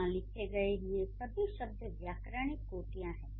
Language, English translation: Hindi, So, all of them, all these words written here are grammatical categories